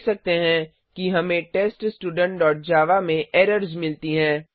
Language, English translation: Hindi, We can see that we get errors in TestStudent.java